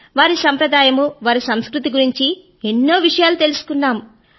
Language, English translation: Telugu, We learnt a lot about their tradition & culture